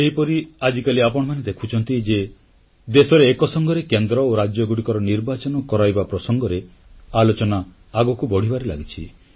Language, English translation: Odia, Similarly, you can see that presently efforts are afoot and discussions are being held about simultaneously holding the elections for Lok Sabha and for state assemblies